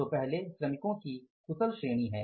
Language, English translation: Hindi, So, first is the skilled category of the workers